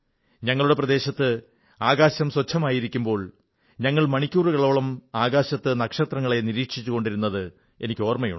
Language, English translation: Malayalam, I remember that due to the clear skies in our region, we used to gaze at the stars in the sky for hours together